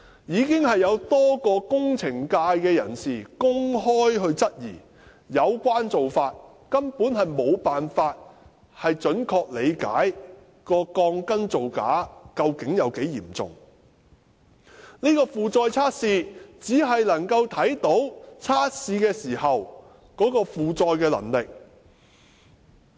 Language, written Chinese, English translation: Cantonese, 已經有多位工程界人士公開質疑有關做法根本無法準確理解鋼筋造假的嚴重程度，而負載測試只能夠看到測試時的負載能力。, Many members of the engineering sector have publicly queried that this practice simply could not accurately determine the seriousness of the falsification and the loading test could only reveal the loading capacity during the test